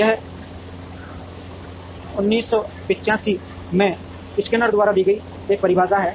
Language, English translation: Hindi, This is a definition given by skinner in 1985